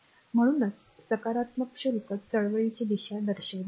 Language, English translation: Marathi, So, that is why is taken has direction of the positive charge movement